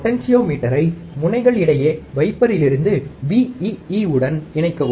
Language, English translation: Tamil, Connect the potentiometer between the pins with wiper to vee